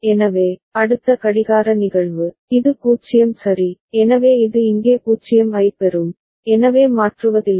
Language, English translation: Tamil, So, next clocking instance, it is 0 all right, so it will get a 0 here, so no toggling right